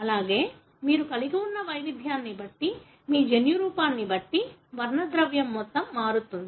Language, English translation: Telugu, Also depending on the kind of variation that you have, the amount of pigmentation varies, depending on your genotype